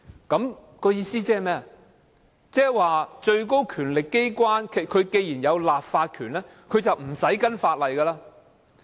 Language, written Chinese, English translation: Cantonese, 換言之，最高權力機關既然有立法權，便無須根據法例行事。, In other words since the highest power organ has legislative power it does not have to act in accordance with the law